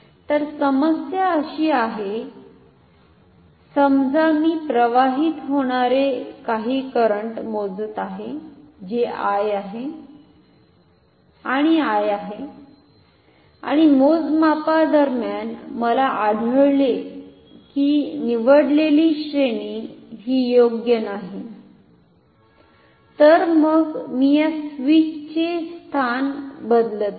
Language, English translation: Marathi, The problem is suppose I am measuring some current which is flowing which is I and I and then during the measurement I find that the chosen range is not suitable therefore, I am changing the position of this switch ok